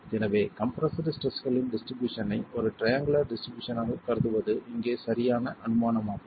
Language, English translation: Tamil, And so the assumption of the assumption of the distribution of compressive stresses as a triangular distribution is a valid assumption here